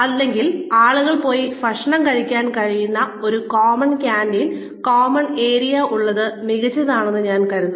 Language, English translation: Malayalam, Again, or having a common canteen, common area, where people can go and have their meals, which I think is brilliant